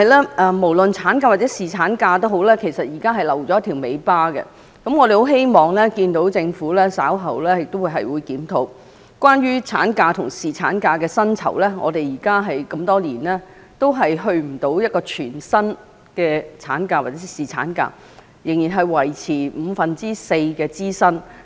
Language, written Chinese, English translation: Cantonese, 然而，不論產假或侍產假，現在政府卻留下了一條"尾巴"，我們希望政府稍後會檢討產假及侍產假的薪酬，因為多年以來，都未能達到全薪的產假或侍產假，仍然只停留在五分之四支薪的階段。, Yet be it maternity leave or paternity leave the Government has still left behind some loose ends . We hope the Government will review the rate of maternity and paternity leave pay later . For years maternity or paternity leave is paid only up to four - fifths of the salary the demand for full paid is not yet answered